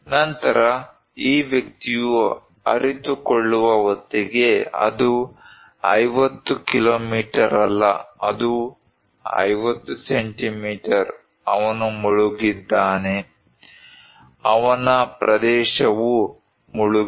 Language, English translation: Kannada, Then, by the time this person realized, it is no more the 50 kilometre, it is 50 centimetre, he is inundated, his area is inundated